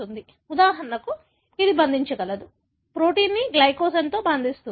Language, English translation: Telugu, So, for example, it can bind to, the protein can bind to glycogen